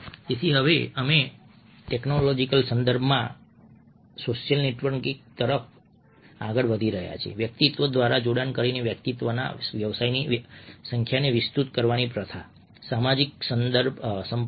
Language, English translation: Gujarati, so now we are moving to social networking in the technological context, practice of expanding the number of one's business social contact by making connection through individuals